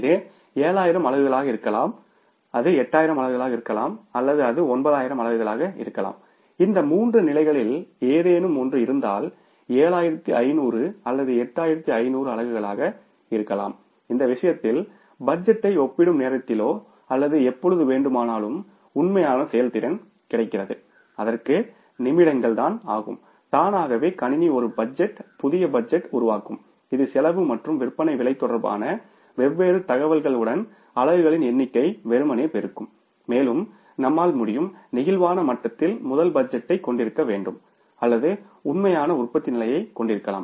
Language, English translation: Tamil, And if it is in between any of these three levels, maybe 7,500 or 8,500 units in that case also preparing the budget even at the time of comparison or when the actual performance is already available with us will take a few minutes and automatically the system will create a budget, new budget which will be simply multiplying the number of units with the different information pertaining to the cost and the selling price and will be able to have the first the budget for the flexible level or maybe the actual level of production and then comparing it with the budgeted level of the production you can easily find out the variances